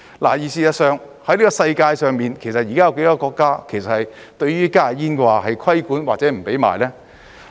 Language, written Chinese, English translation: Cantonese, 事實上，在世界上，現時有多少個國家對於加熱煙是有規管或者禁止售賣呢？, In fact how many countries in the world have now put HTPs under regulatory control or banned the sale of HTPs?